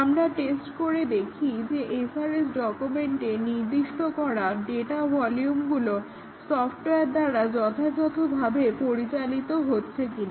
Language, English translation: Bengali, We specify that; we test whether the data volumes as specified in the SRS document are they handled properly by the software